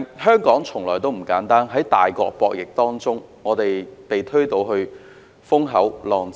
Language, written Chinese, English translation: Cantonese, 香港從來不簡單，在大國博弈之中被推到風口浪尖。, Things have never been easy for Hong Kong which has been pushed to the cliff in the game of power between the superpowers